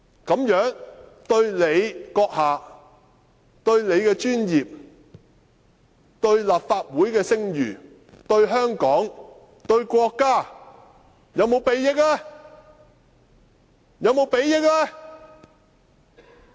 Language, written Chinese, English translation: Cantonese, 這樣對他個人、對他的專業、對立法會的聲譽、對香港、對國家，是否有裨益呢？, Will this benefit his profession the reputation of the Legislative Council Hong Kong and our country?